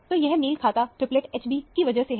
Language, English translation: Hindi, So, this corresponding triplet is because of H b